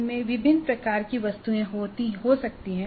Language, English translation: Hindi, They can contain different types of items